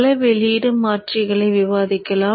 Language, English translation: Tamil, So let us discuss multi output converters